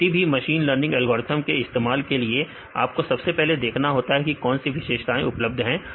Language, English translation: Hindi, So, for any machine learning algorithm use; you have to first check what are the various features available